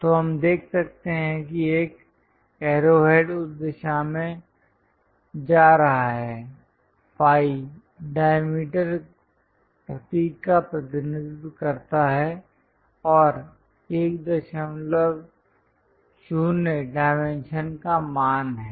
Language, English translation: Hindi, So, we can see there is a arrow head going in that direction, phi represents diameter symbol and 1